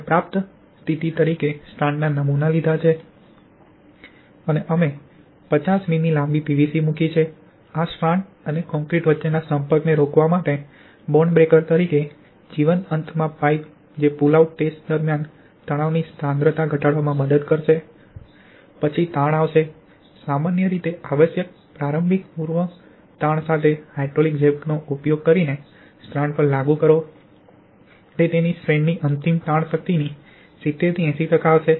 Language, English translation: Gujarati, We have taken the strand samples as received condition and we have placed a 50mm long PVC pipe at the live end as a bond breaker to prevent the contact between this strand and concrete which will help us to reduce the stress concentration during the pull out test, then stress will be applied on the strand using the hydraulic jack with the required initial pre stress, typically it will be 70 to 80 percentage of its ultimate tensile strength of the strand